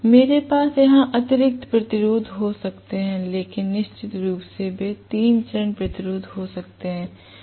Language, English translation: Hindi, I can have additional resistances connected here but off course they maybe three phase resistance